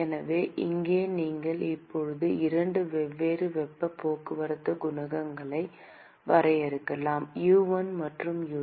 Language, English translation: Tamil, So, here you can now define two different heat transport coefficients, U1 and U2